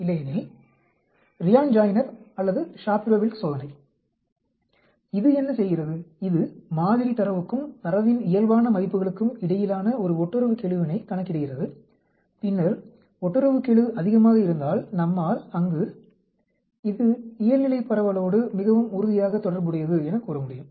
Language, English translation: Tamil, Otherwise, the Ryan Joiner or the Shapiro Wilk test, what it does, it calculates a correlation coefficient between the sample data and the normal scores of the data and then if the correlation coefficient is high, we can say there is, it is very strongly correlated to be a normal distribution